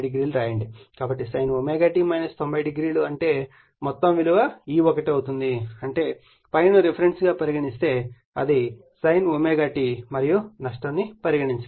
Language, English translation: Telugu, So, sin omega t minus 90 that is E1 right; that means, if ∅ = the reference that is your sin omega t right and it is a loss is neglected